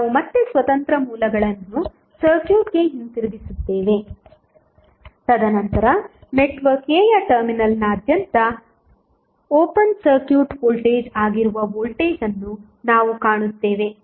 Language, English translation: Kannada, So, we will again put the Independent Sources back to the circuit, and then we will find the voltage that is open circuit voltage across the terminal of network A